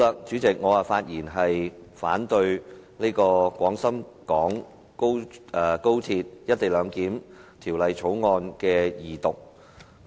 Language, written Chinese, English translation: Cantonese, 主席，我發言反對《廣深港高鐵條例草案》的二讀。, President I rise to speak against the Second Reading of the Guangzhou - Shenzhen - Hong Kong Express Rail Link Co - location Bill the Bill